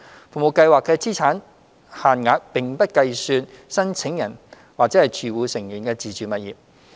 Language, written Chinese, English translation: Cantonese, 服務計劃的資產限額並不計算申請人或住戶成員的自住物業。, Self - occupied properties of the applicants or household members are excluded from the calculation of the asset limits of STFASPs